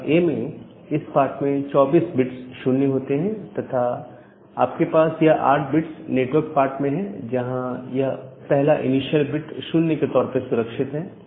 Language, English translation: Hindi, So, in case of class A, you will have 24 number of 0’s in the host part; and you will have this 8 bits at the network part with this initial reserved 0